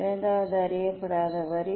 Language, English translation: Tamil, Second unknown line